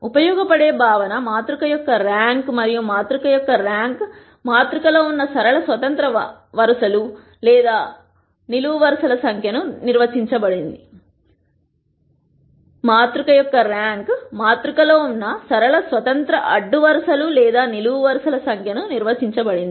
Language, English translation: Telugu, The concept that is useful is the rank of the matrix and the rank of the matrix is de ned as the number of linearly independent rows or columns that exist in the matrix